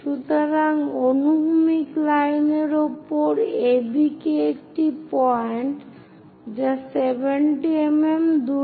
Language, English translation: Bengali, So, AB points on a horizontal line; these are 70 mm apart